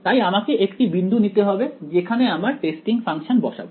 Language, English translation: Bengali, So, I just have to pick up point where should I place my testing function